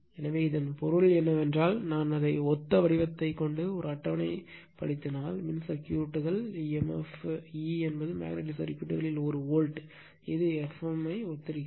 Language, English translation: Tamil, So, that means, if I put it in a tabular form that analogue the analogous thing, electrical circuits say emf, E is a volt in magnetic circuit, it analogies F m right